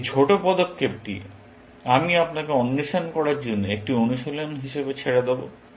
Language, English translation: Bengali, This small move, I will leave as an exercise for you to explore